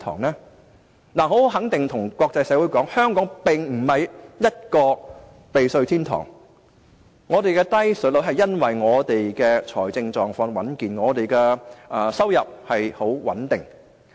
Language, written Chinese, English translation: Cantonese, 我可以很肯定地告訴國際社會，香港並非避稅天堂，我們得以維持低稅率，是因為我們的財政狀況穩健，收入十分穩定。, I can tell the international community positively that Hong Kong is not a tax haven . Hong Kong is able to maintain a low tax regime because its financial position is robust and its revenue has been very stable